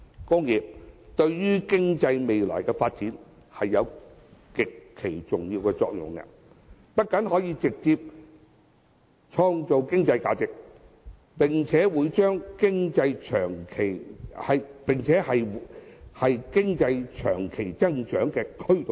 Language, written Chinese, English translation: Cantonese, 工業對經濟未來的發展有極其重要的作用，不僅可直接創造經濟價值，更是經濟長期增長的推動力。, Industrial production is of paramount importance to our future economic growth . It not only creates its own economic value but is also a driving force for economic growth in the long run